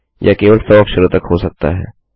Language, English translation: Hindi, It can only be a 100 characters long